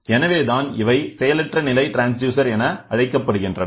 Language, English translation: Tamil, So, that is why it is called as passive transducers